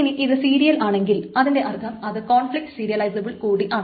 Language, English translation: Malayalam, So, serial, if it is serial, that means that it is also conflict serializable